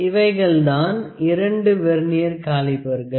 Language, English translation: Tamil, So, this was the Vernier caliper